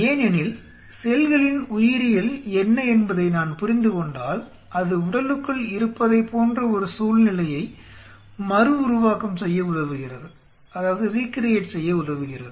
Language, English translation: Tamil, Because what is I understand the biology of the cells it will help us to recreate a situation which is similar to that of inside the body